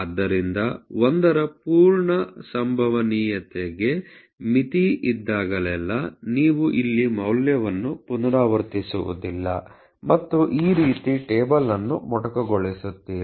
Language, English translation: Kannada, So, whenever there is a limit to the full probability of 1, you sort of does not repeat the values here and` truncate the table in this manner